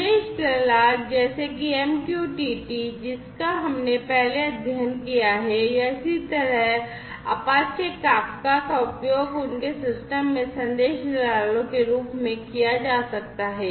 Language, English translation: Hindi, Message brokers such as MQTT, which we have studied before or similarly Apache Kafka could be used as message brokers in their system